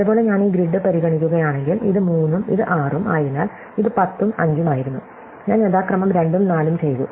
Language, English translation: Malayalam, Likewise, if I consider this grid, then this is 3 and this is 6 because it was 10 and 5, I have done 2 and 4 respectively